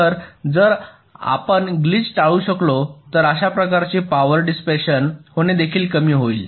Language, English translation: Marathi, so if you can avoid glitch, this kind of power dissipation will also go down